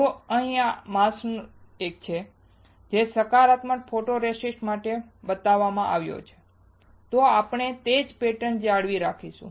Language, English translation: Gujarati, If this is the mask here which is shown for the positive photoresist we will retain the same pattern